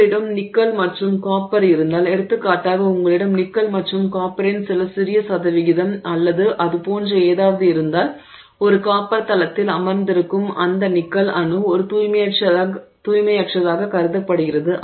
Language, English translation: Tamil, So, if you have nickel and copper for, you have some small percentage of nickel and copper or something like that, then that nickel atom which is sitting in at a copper side is considered as an impurity